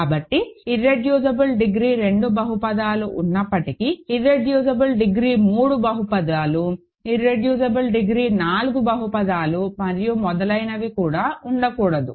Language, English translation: Telugu, So, while there are irreducible degree 2 polynomials, there cannot be any irreducible degree 3 polynomials, irreducible degree 4 polynomials and so on